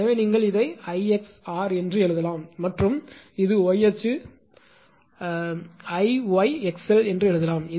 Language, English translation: Tamil, So, you can write this is I x into r and this is y x is component; this is we can make I y into x l right